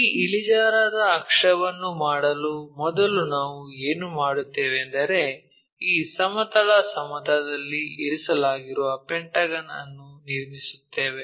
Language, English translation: Kannada, So, to do that inclined axis first of all what we will do is we will construct a pentagon resting on this horizontal plane